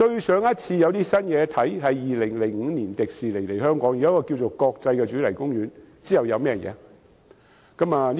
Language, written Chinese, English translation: Cantonese, 上次有新事物是2005年迪士尼樂園來港，興建了一個國際主題公園，之後還有甚麼？, The last new initiative occurred in 2005 when Disneyland came to Hong Kong and built an international theme park here was there any new initiative thereafter?